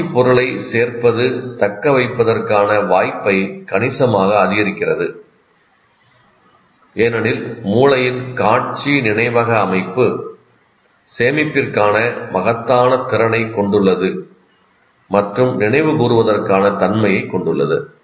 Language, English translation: Tamil, Adding visual material substantially increases the chance of retention because the brain's visual memory system has an enormous capacity for storage and availability for recall